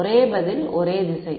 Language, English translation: Tamil, One answer is same direction